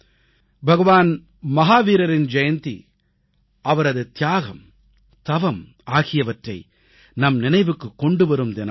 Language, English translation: Tamil, The day of Bhagwan Mahavir's birth anniversary is a day to remember his sacrifice and penance